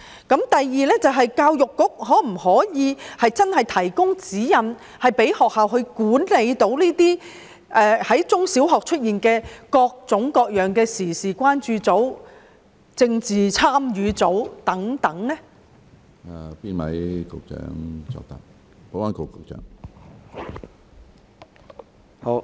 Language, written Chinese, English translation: Cantonese, 第二，教育局可否提供指引，讓中小學管理在校內出現各種各樣的時事關注組、政治參與組等？, Second can EDB provide guidelines to primary and secondary schools to facilitate their management over various groups emerged in their schools including those current affairs concern groups and political concern groups?